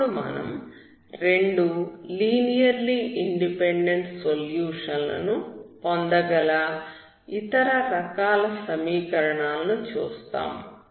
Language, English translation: Telugu, now we will see other kind of equations where you can get two linearly independent solutions